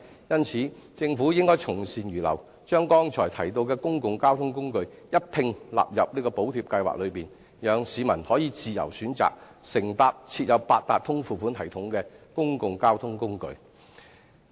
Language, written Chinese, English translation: Cantonese, 因此，政府應該從善如流，將剛才提到的公共交通工具一併納入補貼計劃內，讓市民可自由選擇乘搭設有八達通付款系統的公共交通工具。, The Government should hence readily accept public opinions by including the various modes of public transport mentioned above under the Subsidy Scheme so that the public can choose to take any means of public transport installed with the Octopus card payment device